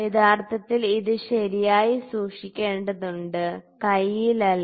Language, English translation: Malayalam, Actually, it has to be kept properly like this not in hand